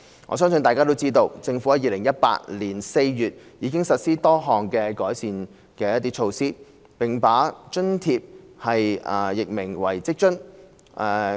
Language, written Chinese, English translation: Cantonese, 我相信大家都知道，政府在2018年4月已實施多項改善措施，並把該津貼易名為職津。, I believe Members are aware that the Government has implemented various enhanced measures in April 2018 and LIFA was renamed WFA